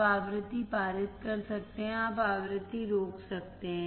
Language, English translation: Hindi, You can pass the frequency; you can stop the frequency